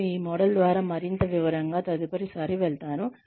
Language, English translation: Telugu, I will go through this model, in greater detail, the next time